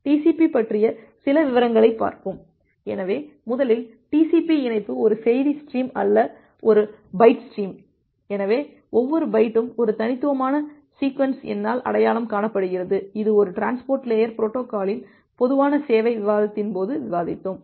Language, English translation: Tamil, So, few details about TCP; so, first of all TCP connection is a byte stream not a message stream, so, every byte is identified by a unique sequence number, that we discussed during the generic service discussion of a transport layer protocol